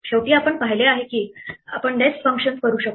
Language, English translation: Marathi, Finally, what we have seen is that we can nest functions